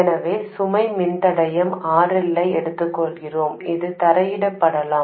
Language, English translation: Tamil, So, let me take the load resistor, RL, which could be grounded